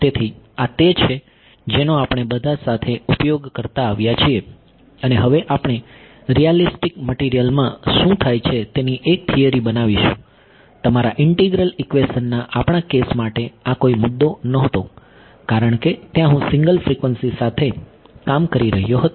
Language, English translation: Gujarati, So, so this is what we have been using all along and we will now build a theory of what happens in realistic materials, this was not an issue for our case of yours integral equations because there I was dealing with single frequency